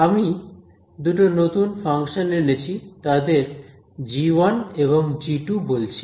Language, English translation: Bengali, I have introduced two new functions I am calling them g1 g2